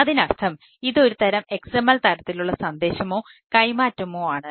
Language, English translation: Malayalam, so that means it is a some sort of a xml type of message exchange